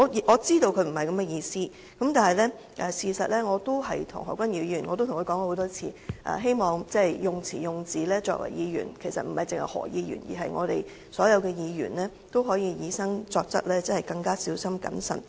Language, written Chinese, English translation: Cantonese, 我知道他不是這個意思，但事實上也曾多次對何君堯議員說，希望他作為議員，以至其他所有議員，都應以身作則，在用詞用字時更加小心謹慎。, I know he did not mean that but in fact I have told Dr Junius HO many times that I hope that he as a Member and all other Members should set a good example with their own conduct by using words in a more careful and prudent manner